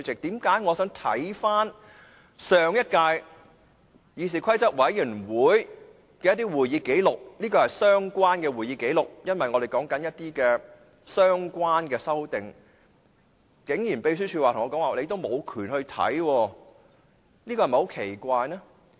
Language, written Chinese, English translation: Cantonese, 最近我想翻看上屆議事規則委員會的會議紀錄，因為我們正在討論修訂《議事規則》，而這是相關的會議紀錄，但秘書處竟然說我無權閱覽。, Due to our discussion on the amendment to the Rules of Procedure not long ago I requested to read the Committees meeting records in the last session as these records are relevant . However the Secretariat says that I do not have access to reading such records